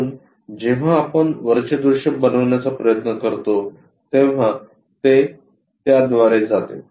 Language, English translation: Marathi, So, the top view when we are trying to make it it goes via this one